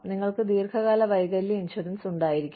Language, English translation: Malayalam, You could have a long term disability insurance